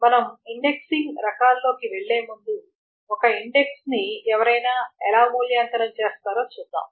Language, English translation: Telugu, Before we go into the types of indexing, let us just see that how does one evaluate an index